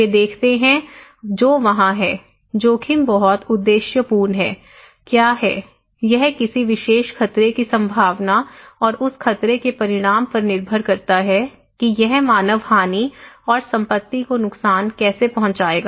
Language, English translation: Hindi, They see what is there so, risk is very objective, what is; it depends on the probability of a particular hazard and the consequence of that hazard, okay that how it would cause human losses, property damage